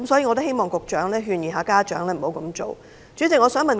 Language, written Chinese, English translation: Cantonese, 我希望局長可勸諭家長，請他們不要這樣做。, I hope the Secretary will advise parents not to do so